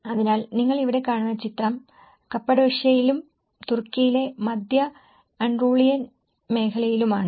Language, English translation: Malayalam, So, the picture which you are seeing here is in the Cappadocia and also the central Antolian region of Turkey